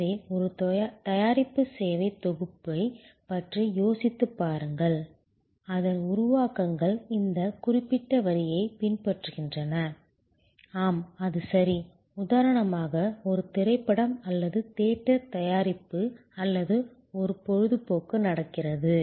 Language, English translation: Tamil, So, think about a product service bundle, the creations of which takes this particular, follows this particular line, yes, that’s is right, a movie for example or a theater production or an entertainment happening